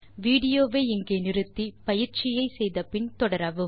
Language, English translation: Tamil, Pause the video here and do this exercise and then resume the video